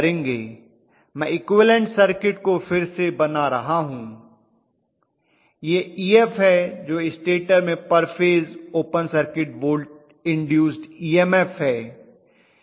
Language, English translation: Hindi, Let me probably redraw that equivalent circuit once again this is Ef which is the open circuit induced EMF in the stator side per phase, okay